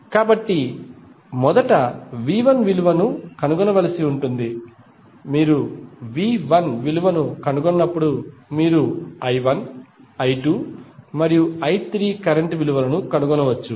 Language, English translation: Telugu, So, you need to first find out the value of V 1 when you find the value of V 1 you can simply find the values of current that is I 1, I 2 and I 3